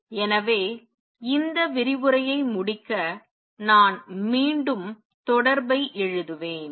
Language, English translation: Tamil, So, to conclude this lecture I will just again write the correspondence